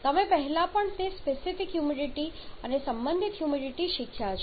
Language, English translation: Gujarati, Even before that specific humidity and relative humidity that you have learnt